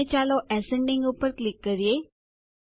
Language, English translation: Gujarati, And let us click on Ascending